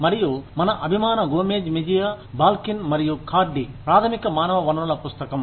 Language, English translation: Telugu, And, of course our favorite, Gomez Mejia, Balkin, and Cardy, the basic human resources book